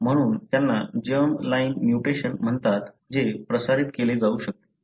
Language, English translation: Marathi, So, these are called as germ line mutation that can be transmitted